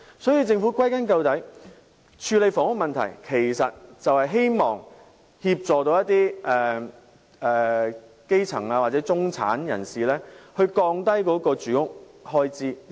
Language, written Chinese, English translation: Cantonese, 因此，歸根究底，政府處理房屋問題其實旨在協助一些基層或中產人士降低住屋開支。, Therefore at the end of the day the Government should aim at helping the grass roots or the middle - class reduce their housing expenses when handling the housing problems